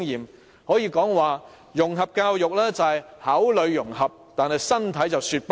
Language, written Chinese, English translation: Cantonese, 我可以說，融合教育只是口裏融合，但身體卻在說不。, I dare to say that integration education is merely a lip service; it is a big no - no in essence